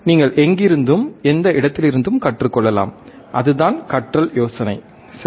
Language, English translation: Tamil, You can learn from anywhere, any place, that is the idea of the learning, right